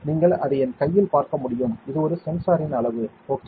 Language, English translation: Tamil, You can see it right in my hand this is the size of one sensor, ok